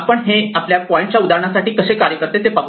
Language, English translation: Marathi, Let us see how this would work for instance for our point thing